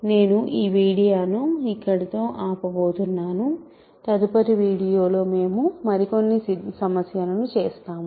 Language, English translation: Telugu, I am going to stop this video here; in the next video we will do some more problems